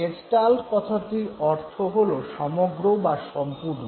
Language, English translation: Bengali, Gestalt basically means whole, complete